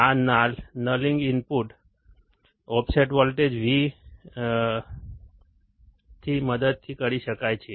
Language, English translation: Gujarati, This nulling can be done with the help of the input offset voltage VIO